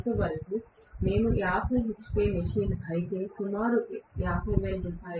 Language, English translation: Telugu, I am rather saying if it is 50 hp machine, roughly it is Rs